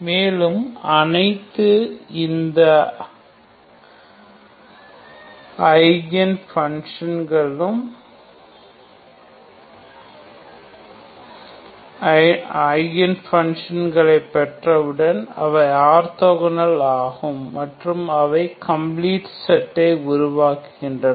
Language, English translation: Tamil, And once you have this once you get all these Eigen functions they form orthogonal which you know and they are complete